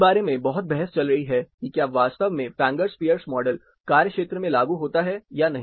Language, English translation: Hindi, So, there is a lot of debate going on about, whether the Fangers Pierce model really applies to the field or not